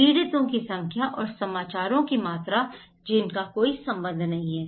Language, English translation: Hindi, Number of victims and volume of news that they have no correlations